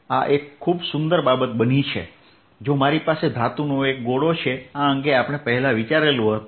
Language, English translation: Gujarati, this is pity, much like if i have a metallic sphere we consider earlier